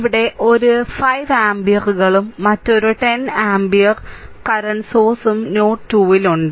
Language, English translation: Malayalam, Here is 5 amperes and another 10 ampere current source is there at node 2